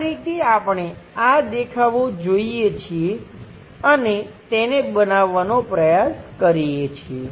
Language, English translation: Gujarati, This is the way we look at these views and try to construct it